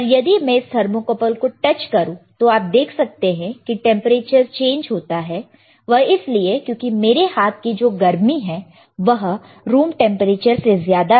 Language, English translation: Hindi, But if I touch this thermocouple, you will see the change in temperature, if I touch the thermocouple; you will see the change, because the heat here in my hand within to 2 fingers is more than the room temperature